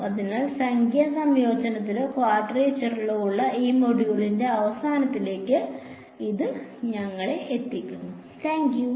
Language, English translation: Malayalam, So, this brings us to an end of this module on numerical integration or quadrature as it is more popularly known